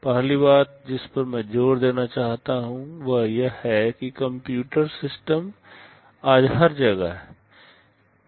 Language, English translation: Hindi, The first thing I want to emphasize is that computer systems are everywhere today